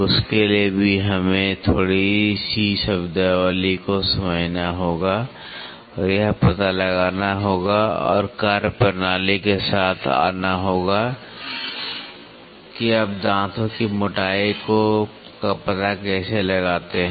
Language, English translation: Hindi, For that also we have to understand little bit of terminologies and find and come out with the methodology, how do you find out the tooth thickness